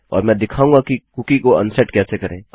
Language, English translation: Hindi, And Ill also show you how to unset a cookie